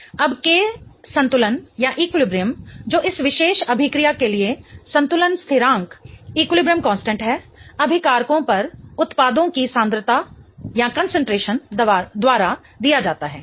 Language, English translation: Hindi, Now, the K equilibrium which is the equilibrium constant for this particular reaction is given by concentration of products over reactant